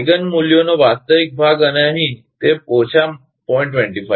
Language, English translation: Gujarati, Real part of the Eigen values and here, it is minus 0